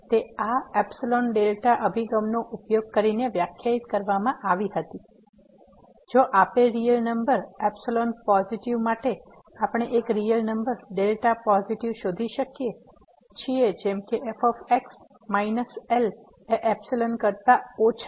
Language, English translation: Gujarati, It was defined using this epsilon delta approach that means, if for a given real number epsilon positive, we can find a real number delta positive such that minus less than epsilon